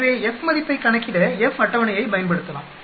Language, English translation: Tamil, So, we can use the F table to calculate the F value